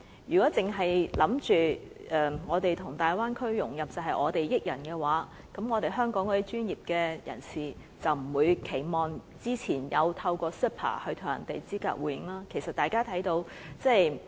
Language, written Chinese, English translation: Cantonese, 如果認為我們跟大灣區融合，是我們給別人好處，香港的專業人士便不會期望透過 CEPA 與內地專業人士資格互認。, Hong Kongs professionals would not have been so looking forward to the mutual recognition arrangement if the Bay Area integration plan is only beneficial to Mainland professionals